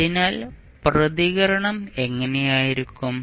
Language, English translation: Malayalam, So, how the response would look like